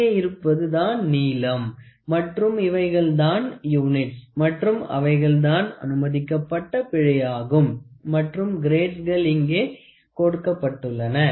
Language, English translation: Tamil, So, here these are the lengths and here is the units which the permissible error which is given and a grade these are also given here